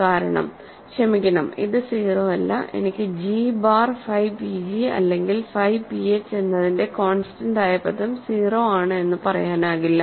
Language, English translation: Malayalam, Because; sorry this is not 0, I cannot say constant term of g bar phi p g is 0 constant term of phi p h is 0